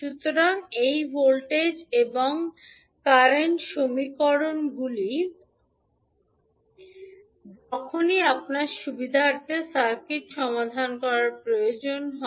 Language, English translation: Bengali, So, these voltage and current equations you can use whenever it is required to solve the circuit according to your convenience